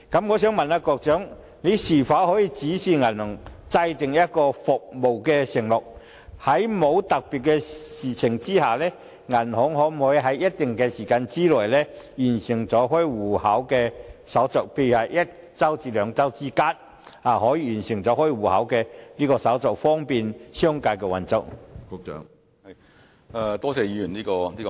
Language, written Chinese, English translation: Cantonese, 我想問局長，當局可否指示銀行制訂一項服務承諾，訂明在沒有特別情況下，銀行可在一定時間內完成開戶手續，例如是一周至兩周，以方便商界運作呢？, May I ask the Secretary whether the authorities will instruct banks to make a performance pledge stating that the account opening process can be completed within a specific time say a week or two barring special circumstances so as to facilitate business operation?